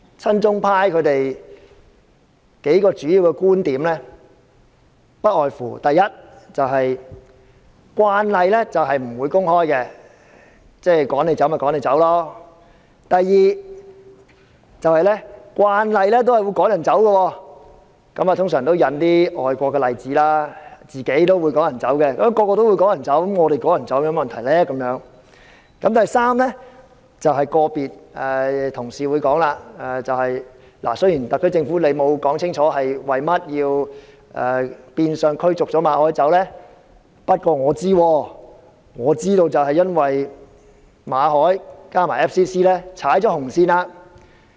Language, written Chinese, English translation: Cantonese, 親中派提出數個主要觀點：第一，慣例是不用公開解釋為何要趕走某些人，拒絕他們入境；第二，慣例是趕走某些人時，通常會引述外國例子，說明趕走他們沒有問題；及第三，有同事提到，雖然特區政府沒有解釋為何變相趕走馬凱，我知道原因是馬凱和香港外國記者會踩到紅線。, The pro - China camp raised a few main points . First the practice is not to publicly explain why some people are expelled and refused entry; second the practice is to cite some foreign examples when expelling some people so to illustrate that expulsion is not a problem; and third some colleagues mentioned that though the SAR Government has not explained why Victor MALLET was expelled in disguise the reason is that Victor MALLET and the Foreign Correspondents Club Hong Kong FCC has overstepped the red line